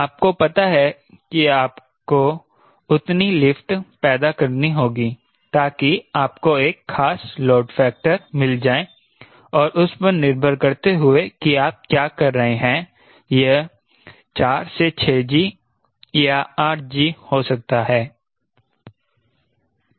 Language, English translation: Hindi, you know you have to generate that much of lift so that you get a particular load factor, and this could be four to six g or eight g, depending upon what you are doing